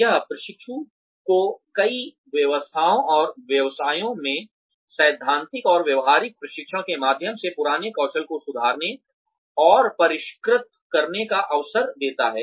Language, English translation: Hindi, It also gives the trainee an avenue to improve and refine old skills, through theoretical and practical training, in a number of trades and occupations